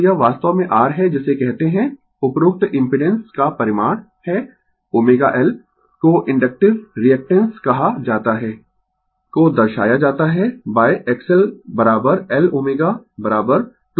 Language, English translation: Hindi, So, this is actually your what you call the magnitude of the above impedance is omega L is called inductive reactance I represented by X L is equal to L omega is equal to 2 pi f into L